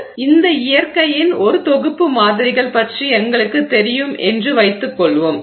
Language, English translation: Tamil, So, let's assume that we have now got one set of samples of this nature